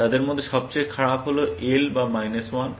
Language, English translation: Bengali, The worst of them is L or minus 1